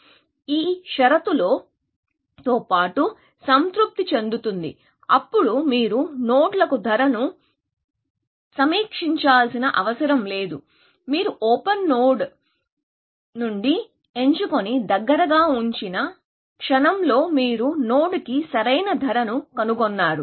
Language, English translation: Telugu, In addition of this condition is satisfied, then you do not have to keep revising cost to the nodes in close; the moment you pick a node from open and put in close, at that moment, you found the optimal cost to the node